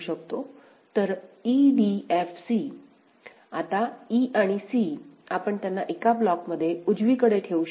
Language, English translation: Marathi, So, e df c; now e and c we can put them in one block right